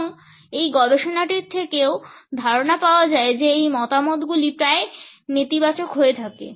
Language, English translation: Bengali, And this research has also suggested that these opinions often tend to be on the negative side